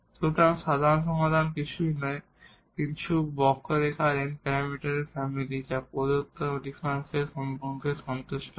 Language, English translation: Bengali, So, the general solution is nothing, but the n parameter family of curves which satisfies the given differential equation